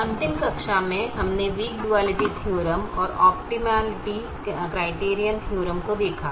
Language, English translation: Hindi, in the last class we saw the weak duality theorem and the optimality criterion theorem